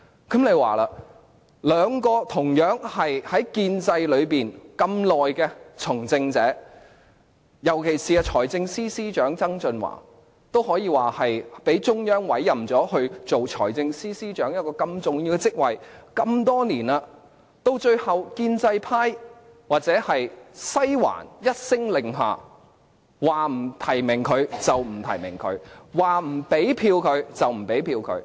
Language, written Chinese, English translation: Cantonese, 這兩名從政者均在建制派內那麼長的時間，尤其是財政司司長曾俊華，他可說是被中央委任，擔任財政司司長如此重要的職位多年，然而，最後建制派或西環一聲令下，說不提名他就不提名他，說不給他票就不給他票。, The two are veteran members of the pro - establishment camp . Former Financial Secretary John TSANG in particular can be said to be appointed by the Central Authorities to take up such an important position in the Government for so many years . However under orders from the pro - establishment camp or Western District he was denied of nominations and votes